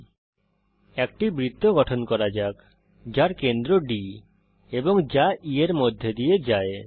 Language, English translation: Bengali, Lets now construct a circle with centre as D and which passes through E